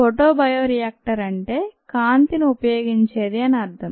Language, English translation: Telugu, a photobioreactor means that it employees light